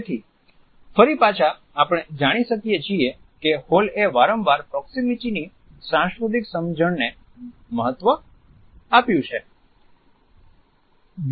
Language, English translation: Gujarati, So, again we find that Hall has repeatedly highlighted the significance of cultural understanding of proximity